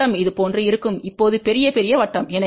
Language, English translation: Tamil, We draw the circle like this it will be little bigger circle now